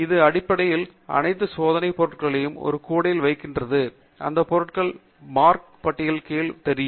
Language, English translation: Tamil, It basically puts all these checked items into a basket and those items will be visible in this corner under the Marked List